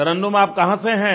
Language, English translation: Hindi, Tarannum, where are you from